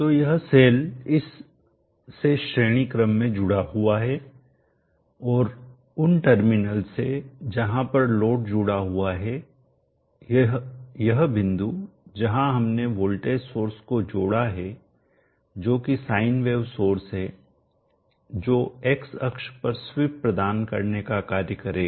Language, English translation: Hindi, So this cell is connected in series to this and the terminals of where the load is connected is across this point where we have connected voltage source which is sign varying source which is suppose to provide the x access C